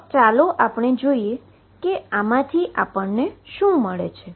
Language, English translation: Gujarati, So, let us see what do we get from this